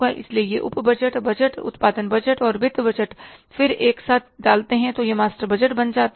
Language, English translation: Hindi, So, these are the sub budgets, sales budget, production budget, distribution budget and finance budget, again putting them together, it becomes the master budget